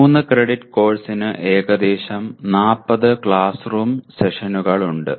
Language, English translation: Malayalam, A 3 credit course has about 40 classroom sessions